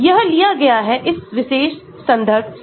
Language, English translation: Hindi, This is taken from this particular reference